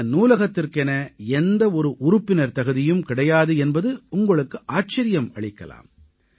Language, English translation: Tamil, You will be surprised to know that there is no membership for this library